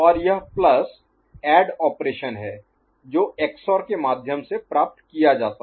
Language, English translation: Hindi, And this plus is the sum operation which is obtained through XOR